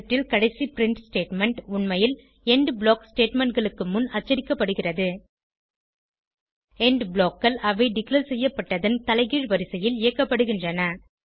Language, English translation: Tamil, The last print statement in the script actually gets printed before the END block statements and END blocks gets executed in the reverse order of their declaration